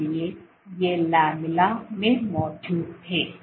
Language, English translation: Hindi, So, these were present in the lamella